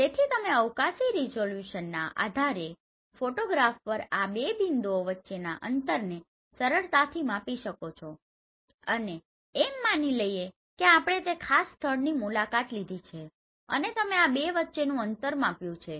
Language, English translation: Gujarati, So you can easily measure the distance between these two points on the photograph based on the spatial resolution and assuming we have the ground distance we have visited that particular place and you have calculated the distance between these two or you have measured that